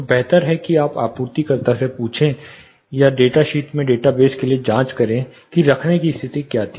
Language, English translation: Hindi, So, better you also ask the supplier or check for the data base in the data sheets, what was the mounting condition